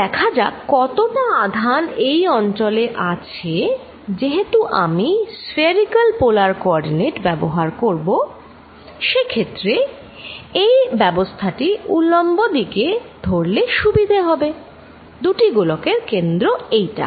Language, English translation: Bengali, Let us now take how much is the charge in this region, now since I am going to use this spherical polar coordinates it will be useful if I make this arrangement in the vertical direction, this is the centre of the two spheres